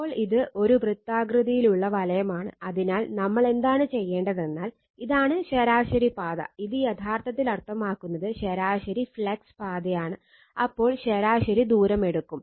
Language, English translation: Malayalam, Now, this is a circular ring so, what we will do is we will take your what you call that you are mean path, this is actually mean flux path, we will take the mean distance right